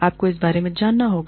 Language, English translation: Hindi, You have to, know about it